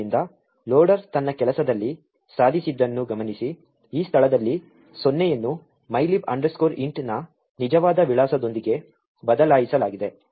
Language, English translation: Kannada, So, notice that the loader has achieved on his job, it has replaced zero in this location with the actual address of mylib int